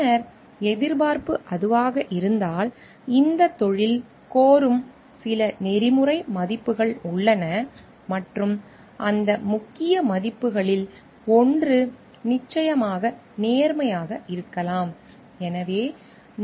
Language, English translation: Tamil, Then, what we find like if that is the expectation, then there are certain ethical values which this profession demands and maybe one of those prominent values is of course honesty